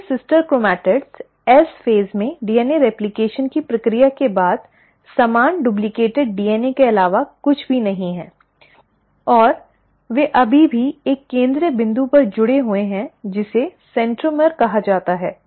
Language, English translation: Hindi, So, these sister chromatids are nothing but the same duplicated DNA after the process of DNA replication in the S phase, and they still remain connected at a central point which is called as the centromere